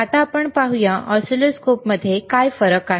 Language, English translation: Marathi, Now, let us go to the function of the oscilloscopes